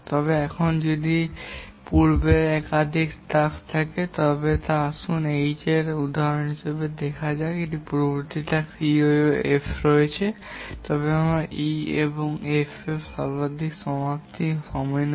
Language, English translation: Bengali, But then if there are more than one previous task, let's consider the example of H which has two previous tasks E and F, then we'll take the lattice finish time of E and F